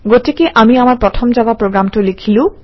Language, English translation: Assamese, Alright now let us write our first Java program